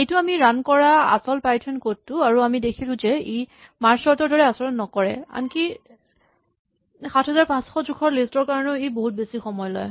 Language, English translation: Assamese, And this was the actual python code which we ran and we saw that it actually behaved not as well as merge sort even for the list of size 7500, we saw it took an appreciatively long time